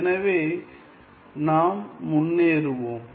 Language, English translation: Tamil, So, let us move ahead